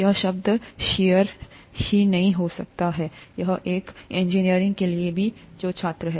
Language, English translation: Hindi, This term shear itself could be new, even to engineers who are students